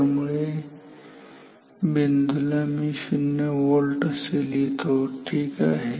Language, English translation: Marathi, So, this point I can write it as 0 voltage ok